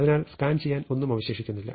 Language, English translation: Malayalam, So, there is nothing to scan